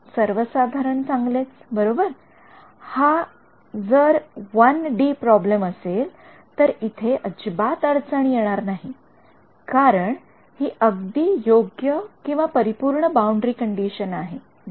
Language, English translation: Marathi, Trivially good right if its 1 D problem there is no there is absolutely no issue over here, because this is the perfect boundary condition right